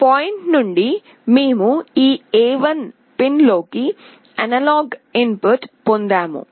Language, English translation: Telugu, You see that from this point, we have got the analog input into this A1 pin